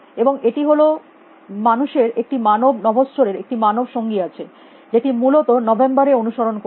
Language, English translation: Bengali, And it is man it has a human companion to a human astronaut, which will follow in November essentially